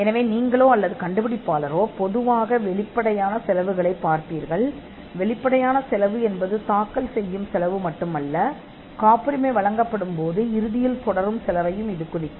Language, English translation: Tamil, So, you or the inventor would normally look at the upfront cost, and the upfront cost is not just the filing cost, but it could also mean the cost that eventually pursue when a patent is granted